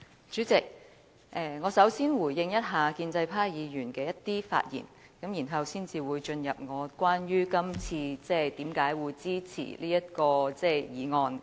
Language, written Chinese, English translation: Cantonese, 主席，首先，我要回應建制派議員的一些發言內容，然後才會講述今次我為何支持這項議案。, President first of all I wish to respond to the points made by certain pro - establishment Members in their speeches and then I will talk about why I support this motion